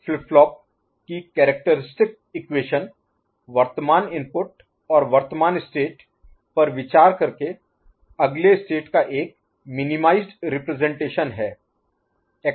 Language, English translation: Hindi, Characteristic equation of a flip flop is a minimized representation of the next state by considering present input and present state